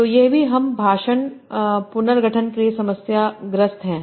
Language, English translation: Hindi, So these are also problematic for speech recognition